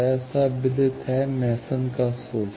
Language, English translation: Hindi, It is well known, Mason’s formula